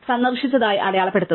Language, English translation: Malayalam, Mark it as visited